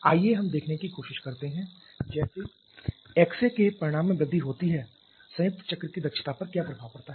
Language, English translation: Hindi, Let us try to see as the magnitude of X A increases what is the effect on the efficiency of the combined cycle